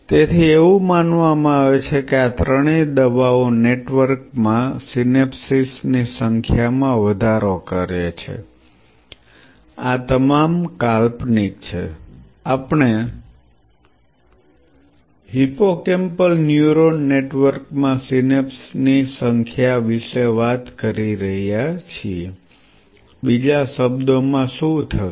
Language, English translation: Gujarati, So, it is believed that all these three drugs increase the number of synapses in a network, this is all hypothetical we are talking about number of synapses in a hippocampal neuron network, in other word what will be